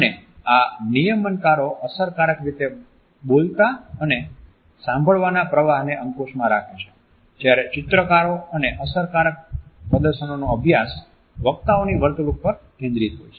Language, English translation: Gujarati, And these regulators control the back and forth flow of a speaking and listening in a effective manner whereas, the study of illustrators and effective displays focuses on the speakers behavior